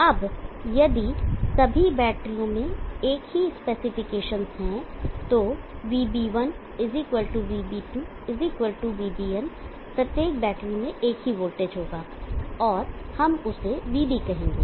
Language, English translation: Hindi, Now if all the batteries have the same spec then Vb1 = Vb2 = Vbn that is each of the battery will have the same voltage and let us call that one as Vb